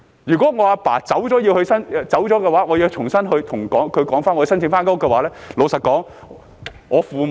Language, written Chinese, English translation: Cantonese, 如果我父親離世，我要重新向政府申請改動該寮屋的話，老實說，我父母......, If my father passes away and I have to apply afresh to the Government for alteration of the squatter structure to be honest my parents Let us leave aside my parents